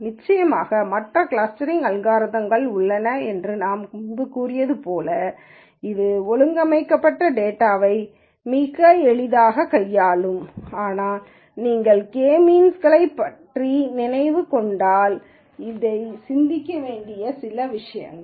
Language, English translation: Tamil, Of course, as I said before there are other clustering algorithms which will quite easily handle data that is organized like this but if you were thinking about K means then these are some of the things to think about